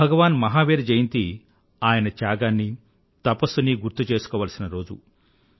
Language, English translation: Telugu, The day of Bhagwan Mahavir's birth anniversary is a day to remember his sacrifice and penance